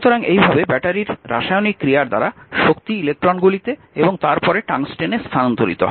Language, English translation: Bengali, So, thus energy is transferred by the chemical action in the battery to the electrons right and then to the tungsten where it appears as heat